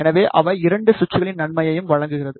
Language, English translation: Tamil, So, they offers the advantage of both the switches